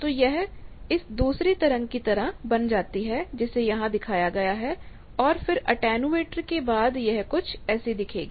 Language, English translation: Hindi, So, it becomes the second waveform that is shown and then after attenuation it is like these